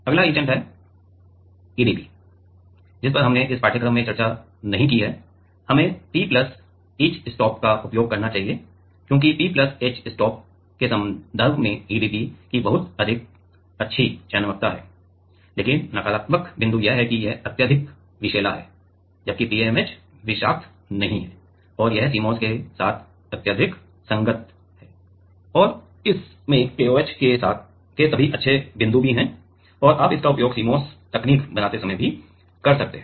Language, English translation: Hindi, The next etchant EDP; which we have not discussed in this course we should use were have P+ etchstop because EDP has a very good selectivity with respect to P+ etchstop, but the negative point is this is highly toxic whereas, TMAH is not toxic and this is highly compatible with CMOS and it has all the good points of KOH also and you can use it while making the CMOS technologies also